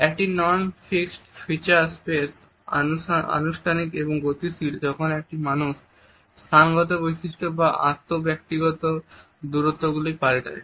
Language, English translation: Bengali, \ A non fixed feature space is informal and dynamic when a person varies the spatial features of setting or inter personal distances